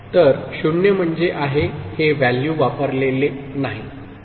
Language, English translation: Marathi, So, 0 means there is this value is not used, ok